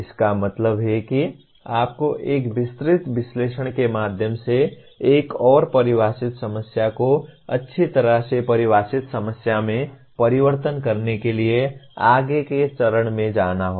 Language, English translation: Hindi, That means you have to go to the next stage of further what do you call converting a ill defined problem to a well defined problem through a detailed analysis